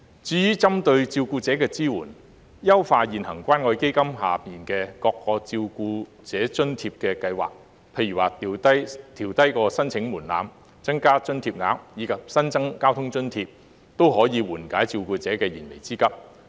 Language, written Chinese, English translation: Cantonese, 至於針對照顧者的支援，優化現行關愛基金下各項照顧者津貼計劃，例如調低申請門檻、增加津貼額，以及新增交通津貼，均可緩解照顧者的燃眉之急。, As regards the support for carers enhancing the various existing carer allowance schemes under the Community Care Fund such as lowering the application thresholds increasing the allowance amounts and introducing a transport subsidy can help carers meet their urgent needs